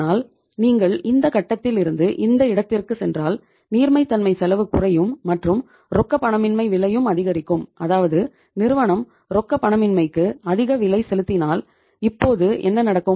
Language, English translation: Tamil, But if you go from this point to this point, your liquidity will your cost will go down but liquidity will also go down and the cost of illiquidity will increase so if it means if the firm is paying the higher cost of illiquidity in that case what will happen